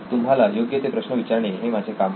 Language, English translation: Marathi, My job is to ask the right questions